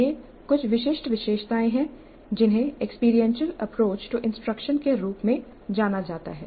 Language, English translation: Hindi, So these are some of the distinguishing features of what has come to be known as experiential approach to instruction